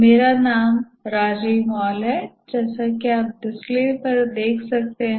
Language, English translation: Hindi, My name is Rajiv Mal as you can see on the display